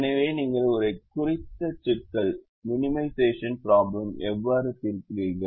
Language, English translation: Tamil, so this is how you solve a minimization problem